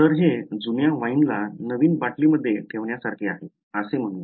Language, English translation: Marathi, So, let us as they say put old wine in new bottle alright